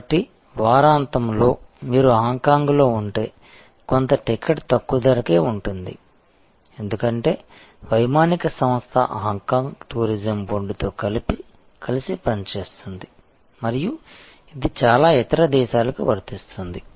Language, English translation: Telugu, So, the weekend if you stay in Hong Kong then some of the ticket will be at a price which is lower, because the airline works in conjunction with Hong Kong tourism board and so on and this is applicable to many other countries